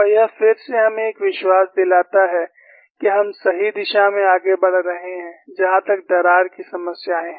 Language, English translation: Hindi, And this again gives us a confidence that, we are proceeding in the right direction as far as crack problems are concerned